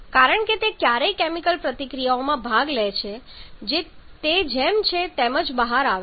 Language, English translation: Gujarati, Because that never participate in chemical reaction that just comes out as it is